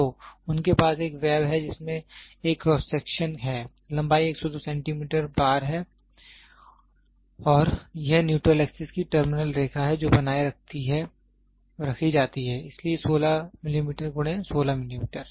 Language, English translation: Hindi, So, they have a web which is having a cross section, length is 102 centimeter bar and this is the terminal line of the neutral axis which is maintained, so 16 inches millimeter by 16 millimeter